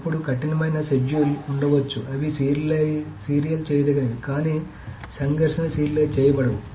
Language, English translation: Telugu, Then there can be strict schedules which are views serializable but not conflict serializable